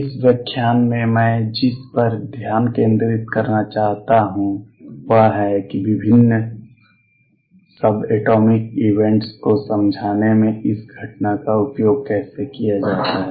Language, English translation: Hindi, What I want to focus on in this lecture is how this phenomena is used in explaining different subatomic events